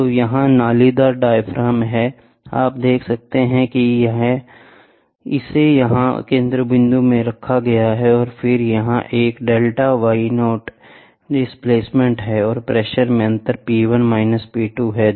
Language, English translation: Hindi, So, here are corrugated diaphragms, you can see here this is placed here the centerpiece and then this is a displacement is a delta y naught, and the pressure difference is P1 P 2